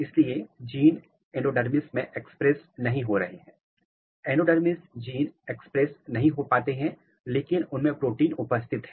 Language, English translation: Hindi, So, gene is not getting expressed in the endodermis, the endogenous gene is not getting expressed, but protein is present